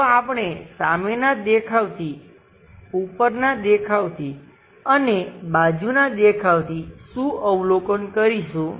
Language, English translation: Gujarati, So, what are the things we will observe from front view, from top view and side view